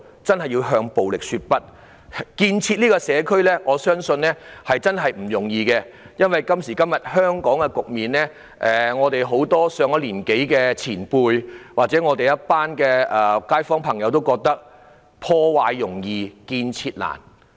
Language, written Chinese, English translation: Cantonese, 我相信建設社區殊不容易，面對香港現時的局面，很多上了年紀的前輩或街坊朋友都歎破壞容易、建設難。, I believe it is in no way easy to build a community . Seeing the present situation of Hong Kong many people or kaifongs who are more senior in age lamented that destruction is much easier than construction